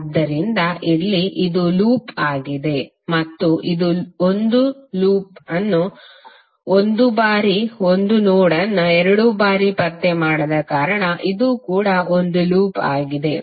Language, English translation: Kannada, So here, this is a loop and this is also a loop because it is not tracing 1 node 1 node 2 times